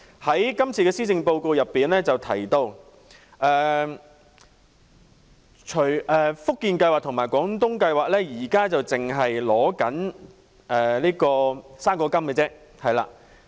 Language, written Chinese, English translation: Cantonese, 在這份施政報告中提到，"福建計劃"和"廣東計劃"目前只容許長者跨境支取"生果金"。, The Policy Address mentioned that under the Guangdong Scheme GDS and the Fujian Scheme FJS elderly people who reside in the two provinces are entitled to fruit grant only